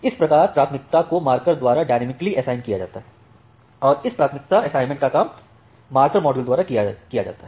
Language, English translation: Hindi, So, that way the priority is dynamically assigned by the marker and that priority assignment is done by this marker module